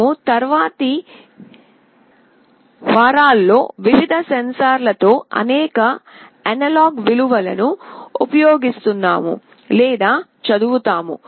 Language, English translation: Telugu, We will see in the subsequent weeks that we will be using or reading many analog values with various sensors